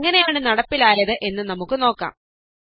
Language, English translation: Malayalam, So let us see how it is implemented